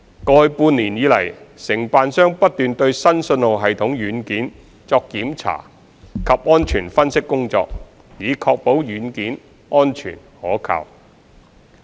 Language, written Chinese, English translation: Cantonese, 過去半年以來，承辦商不斷對新信號系統軟件作檢查及安全分析工作，以確保軟件安全可靠。, Over the past half year the Contractor has continued to inspect and conduct safety analysis on the new signalling system software to ensure its safety and reliability